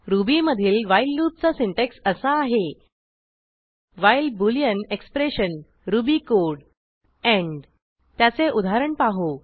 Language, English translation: Marathi, The syntax of the while loop in Ruby is as follows: while boolean expression ruby code end Let us look at an example